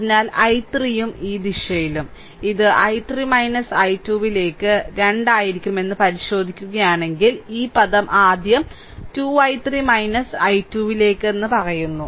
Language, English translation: Malayalam, So, i 3 and in this direction, right; so, i 3 minus i 2; so, if you look into that it will be 2 into i 3 minus i 2, I am telling this term first 2 into i 3 minus i 2